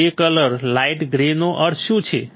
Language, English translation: Gujarati, Grey colour light grey what does that mean